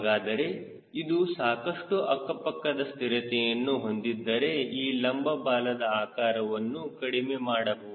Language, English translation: Kannada, so if this is already producing lot of lateral stability, the size of the vertical tail you can reduce